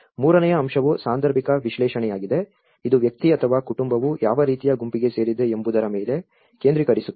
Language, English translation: Kannada, The third aspect, which is a situational analysis, it focuses just on what kind of group a person or a family belongs to